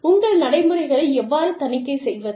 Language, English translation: Tamil, How do you audit, your procedures